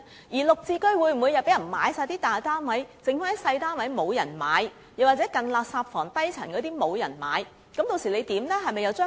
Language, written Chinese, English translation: Cantonese, 而"綠置居"又會否全部大單位均有人購買，剩餘小單位或近垃圾房或低層的單位卻沒有人問津？, Will it turn out that all the large GSH units are sold but no one is interested in the remaining small units or those near refuse rooms or on the lower floors?